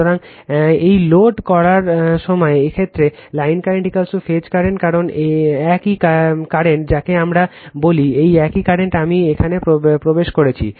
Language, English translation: Bengali, So, when loading this star in this case, line current is equal to phase current because same current is your what we call, the same current i is going entering here right